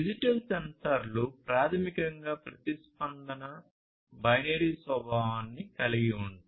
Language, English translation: Telugu, Digital sensors are basically the ones where the response is of binary nature